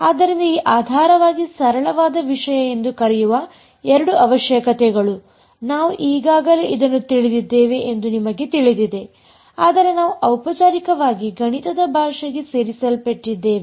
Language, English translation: Kannada, So, these are the two requirements to be called a basis fairly simple stuff, you know I mean we already sort of know this, but we are just formally put into the language of math